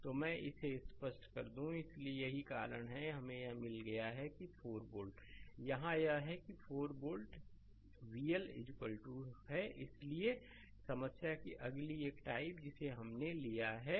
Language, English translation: Hindi, So, let me clear it; So, that is that is why this is we have got that 4 volt right, here it is here it is 4 volt right V L is equal to so, next one varieties of problem we have taken